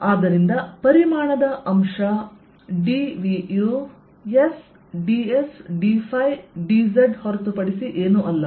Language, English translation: Kannada, so volume element d v is nothing but s d s, d phi, d z